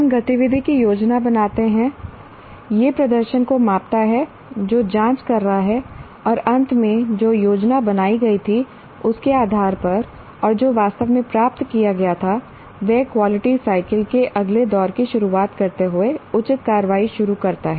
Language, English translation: Hindi, We plan the activity, do it, measure the performance that is checking and finally based on what was planned and what was actually achieved, initiate appropriate action commencing the next round of quality cycle